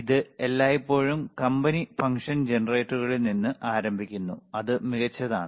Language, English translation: Malayalam, So, it always starts from the company function generators and that is fine